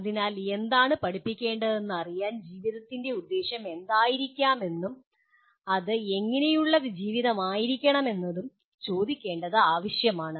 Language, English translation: Malayalam, So to know what to educate, it becomes necessary to ask what can be the purpose of life and what sort of life it should be